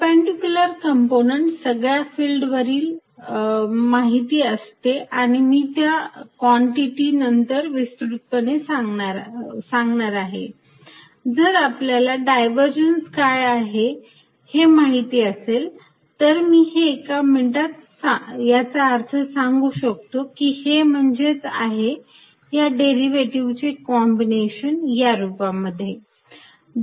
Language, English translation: Marathi, So, perpendicular component all the field is known, then I am going to define and explain those quantities later, if we know the divergence I will explain its meaning in a minute which is the combination of derivatives in this from